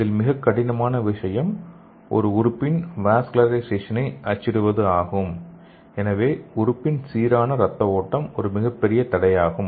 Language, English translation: Tamil, So the main thing is it is difficult to print vascularization in an organ, so effective blood flow in the organ has been a major roadblock